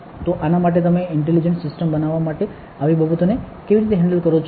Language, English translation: Gujarati, So, for that how do you handle such things to make intelligent systems